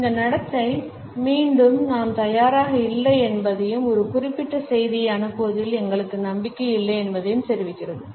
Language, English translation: Tamil, So, these repetitive takes in our behaviour communicate that we are not prepared and we are not confident to pass on a particular message